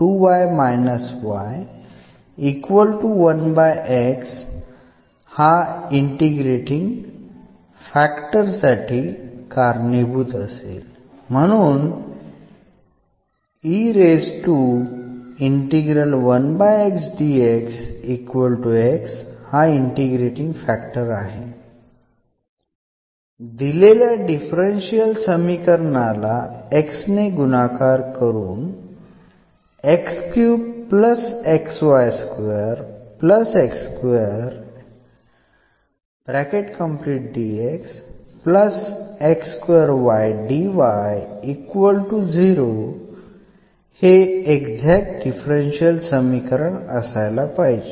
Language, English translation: Marathi, So, this is the integrating factor of this differential equation meaning if you multiply by this x to this differential equation the equation will become exact